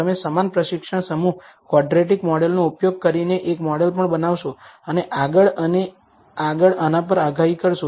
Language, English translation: Gujarati, You will also build a model using the same training set, quadratic model, and predict it on this and so on, so forth